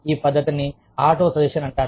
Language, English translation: Telugu, This method is called autosuggestion